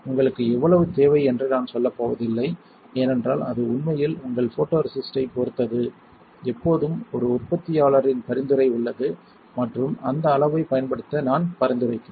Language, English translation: Tamil, I am not going to say how much you need because that really depends on your photoresist, there is always a manufacture recommendation and I would recommend using that volume